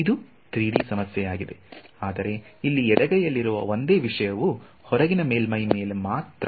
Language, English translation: Kannada, So this is a 3D problem, but the same thing on the left hand side over here is only over the outer surface